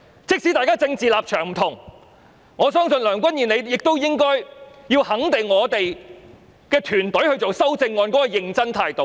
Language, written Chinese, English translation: Cantonese, 即使大家政治立場不同，我相信梁君彥你也應該肯定我們團隊草擬修正案時的認真態度。, Despite our differences in political stance I believe you Andrew LEUNG should give recognition to the earnest attitude of our team in drafting the amendments